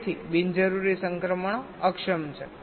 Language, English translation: Gujarati, so unnecessary transitions are disabled